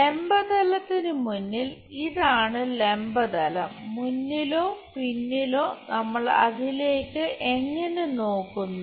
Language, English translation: Malayalam, And in front of vertical plane this is the vertical plane, in front or back side the way how we look at it